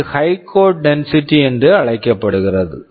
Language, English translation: Tamil, This is something called high code density